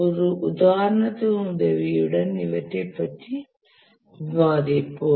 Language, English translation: Tamil, We will discuss this with help of an example that will make it clear